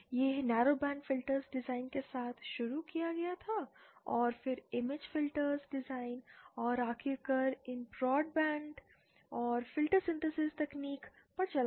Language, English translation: Hindi, It was started with narrow band filter design then moved on to image filter design and finally to these broad band and filter synthesis technique